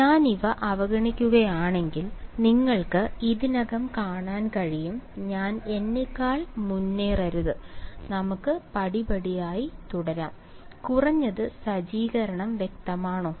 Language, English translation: Malayalam, You can already see that if I ignore the well; let me not get ahead of myself let us continue step by step ok, at least the setup is clear